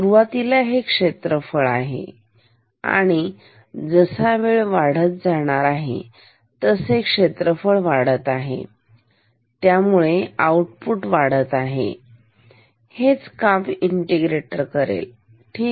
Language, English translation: Marathi, So, initially they this is area and then as time increases the area and that it increases as time increases more the area increases therefore, the output increases, that is what the integrator does, ok